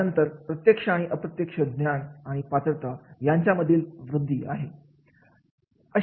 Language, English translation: Marathi, Then direct and indirect enhancement of knowledge and ability is there